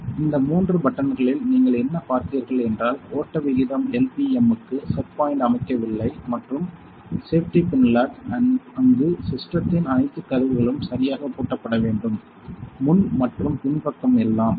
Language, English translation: Tamil, what you will saw on these three give buttons we are not there are set points for what flow rate LPM and safety pin locks where all the doors of the system should be locked properly; the front and backside everything